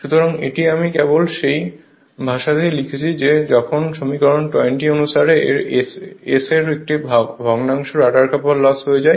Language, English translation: Bengali, So, that that thing I am just writing in language right of that of while as per equation 20 a fraction of S of it is dissipated in the rotor copper loss right